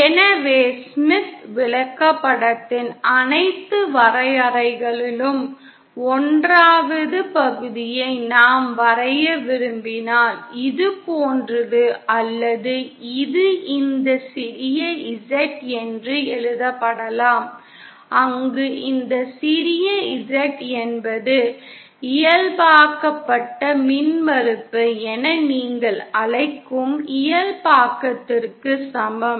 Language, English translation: Tamil, So if we want to draw 1st of all the definition of Smith chart is like this or this can also be written as this small Z where this small Z is equal to the normalised what you call as normalised impedance